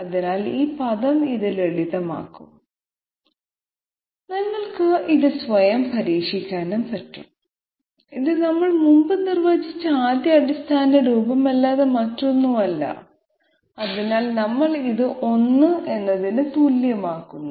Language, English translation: Malayalam, So this way, this term will simplify to this term it is extremely simple, straightforward, you can you can try it out yourself and this is nothing but the 1st fundamental form that we had previously defined and therefore we equate this to I